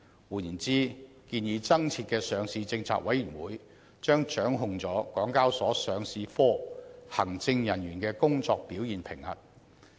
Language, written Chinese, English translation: Cantonese, 換言之，建議增設的上市政策委員會將掌控港交所上市部行政人員的工作表現評核。, In other words the proposed Listing Policy Committee will be responsible for appraising the performance of senior executives of HKExs Listing Department